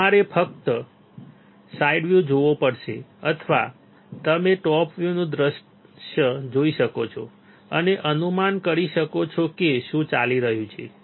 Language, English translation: Gujarati, You have to just see the side view or you can see the top view and guess what is going on